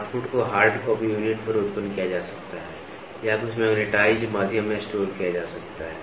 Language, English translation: Hindi, The output can be generated on a hard copy unit or stored in some magnetized media